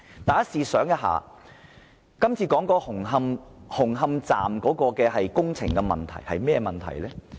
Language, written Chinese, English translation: Cantonese, 大家試想一下，目前討論的紅磡站工程出了甚麼問題？, Let us think about what has gone wrong with the construction of Hung Hom Station currently under discussion